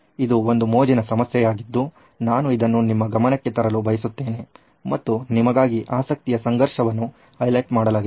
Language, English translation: Kannada, This is a fun problem that was there I thought I could bring this to your attention and actually highlight the conflict of interest for you